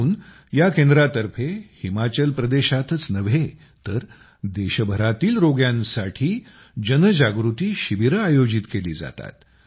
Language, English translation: Marathi, That's why, this centre organizes awareness camps for patients not only in Himachal Pradesh but across the country